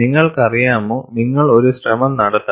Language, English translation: Malayalam, You know, you have to make an attempt